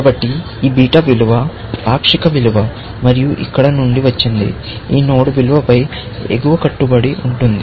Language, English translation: Telugu, So, this beta value, which is the partial value, it has got from here, is an upper bound on the value of this node